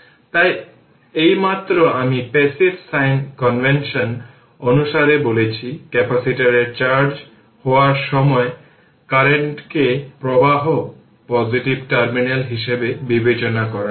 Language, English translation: Bengali, So, just now I told you according to passive sign convention, current is considered to be flow into positive terminal of the capacitor, when the capacitor is being charged right